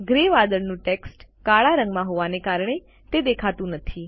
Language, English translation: Gujarati, As the text in the gray clouds is black in color, it is not visible